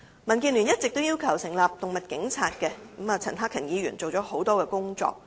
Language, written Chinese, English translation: Cantonese, 民建聯一直要求成立"動物警察"，而陳克勤議員亦已做了很多相關的工作。, The Democratic Alliance for the Betterment and Progress of Hong Kong DAB has all along requested the establishment of animal police and Mr CHAN Hak - kan has done a lot of work in this regard